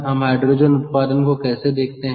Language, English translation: Hindi, how do you produce hydrogen